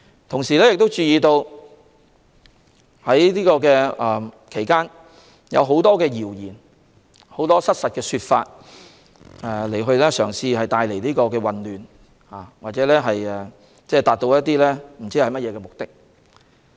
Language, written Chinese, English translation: Cantonese, 同時，我們也注意到在這期間有很多謠言，也有很多失實的說法，試圖製造混亂，達至某些目的。, Furthermore we also notice that there have been a lot of rumours and misrepresentations during this period trying to create confusion to achieve certain purposes